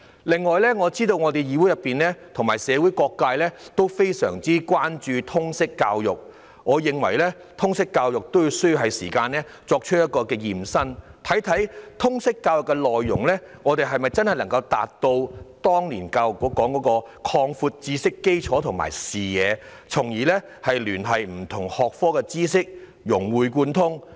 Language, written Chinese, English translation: Cantonese, 此外，我知道議會和社會各界均非常關注通識教育，我認為通識教育也是時間進行"驗身"，看看通識教育的內容能否真正達到當年教育局說的"擴闊知識基礎和視野"，從而聯繫不同學科的知識，融會貫通。, Also I know that the Council and various sectors of the community are very concerned about Liberal Studies . To me it is time for a review of the Liberal Studies curriculum to examine whether it is truly capable of achieving what the Education Bureau intended which is to broaden students knowledge base and horizons so that they can make connections with and integrate the knowledge across different disciplines